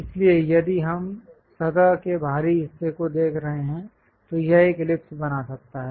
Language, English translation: Hindi, So, if we are looking at on the exterior of the surface, it might be making an ellipse